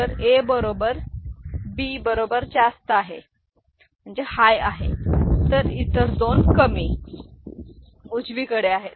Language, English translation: Marathi, So, the A is equal to B is high and the other two are low, right